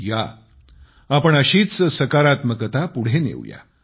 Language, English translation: Marathi, Come, let us take positivity forward